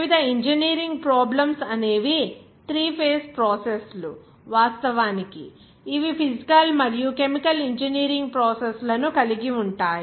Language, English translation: Telugu, Three phase processes like various engineering problems actually involve physical and chemically engineering processes